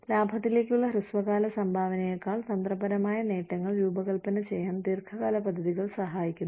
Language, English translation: Malayalam, Long term plans, help design strategic gains, rather than, short term contribution, to profits